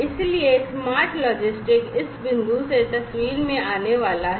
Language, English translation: Hindi, So, the smart logistics etcetera, are going to come into picture from this point on